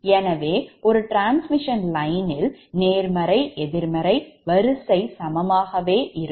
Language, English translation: Tamil, now this is actually positive sequence, negative sequence